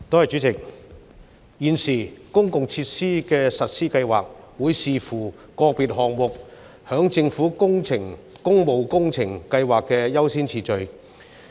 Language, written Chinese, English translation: Cantonese, 主席，現時，公共設施的實施計劃會視乎個別項目在政府工務工程計劃的優先次序。, President at present the implementation programmes for public facilities depend on the priority of individual projects in the Governments public works programme